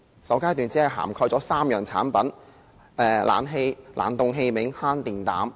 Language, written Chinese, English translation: Cantonese, 首階段只涵蓋3項產品，包括冷氣機、冷凍器具和慳電膽。, The first phase covered only three types of products namely room air conditioners refrigerating appliances and compact fluorescent lamps